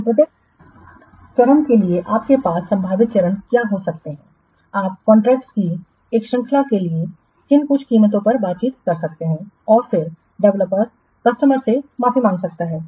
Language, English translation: Hindi, For each of the stages you can negotiate what some prices you can negotiate a series of contracts and then the prices can be charged to the developers, sorry, to the customers